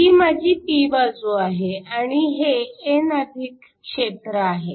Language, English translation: Marathi, So, this is the p that is the n+